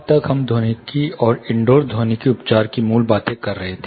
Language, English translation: Hindi, So, far we have been talking about basics of acoustics, and indoor acoustic treatment